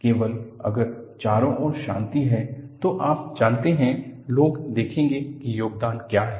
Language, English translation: Hindi, Only if, there is peace all around, people will notice what contribution is this